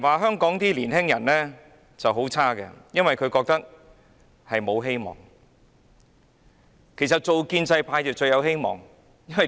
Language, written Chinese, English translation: Cantonese, 香港的年輕人覺得沒有希望，但建制派最有希望，為甚麼？, While young people of Hong Kong feel hopeless the establishment camp is most promising . Why?